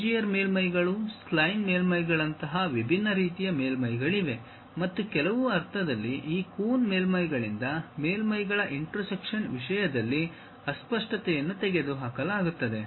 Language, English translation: Kannada, There are different kind of surfaces like Bezier surfaces, spline surfaces and in some sense the ambiguity in terms of intersection of surfaces will be removed by this Coon surfaces